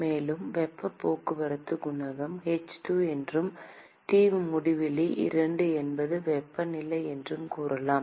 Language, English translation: Tamil, And there is let us say the heat transport coefficient is h2 and T infinity 2 are the temperatures